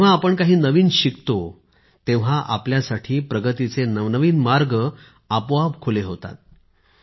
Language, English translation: Marathi, When we learn something new, doors to new advances open up automatically for us